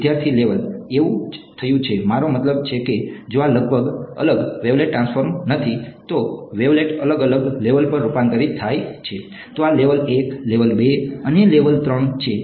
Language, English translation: Gujarati, That is what has happened; I mean if these are not separate wavelet transforms, wavelet transforms to different levels right, so this is a level 1, level 2 and level 3 right